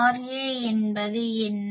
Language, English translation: Tamil, What is R a